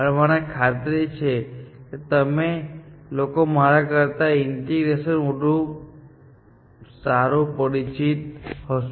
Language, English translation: Gujarati, I am sure that you people are more familiar with integration than I am